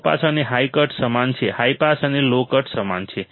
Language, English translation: Gujarati, low pass and high cut same, high pass low cut are same